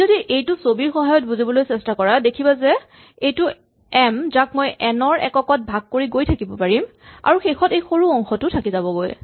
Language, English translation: Assamese, The way to think about it if you want to pictorially is that I have this number m and I can break it up into units of n and then there is a small bit here